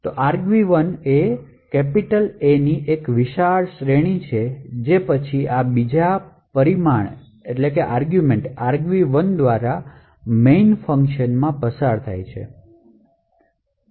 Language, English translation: Gujarati, So, argv 1 is the series of A’s which is then passed into the main function through this second parameter argv 1